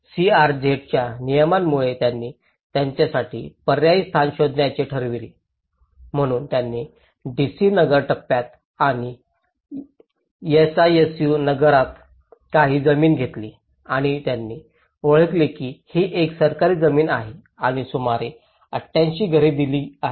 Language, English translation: Marathi, And they decided to find alternative position for them because of the CRZ regulations so they have took some land in the DC Nagar phase and SISU Nagar and they have identified this is a government land and have given about 88 houses